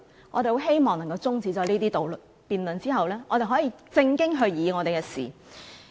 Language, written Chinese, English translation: Cantonese, 我們很希望中止了這些辯論後，可以正經議事。, We really wish that the Council can go back on the right track after adjourning the present debate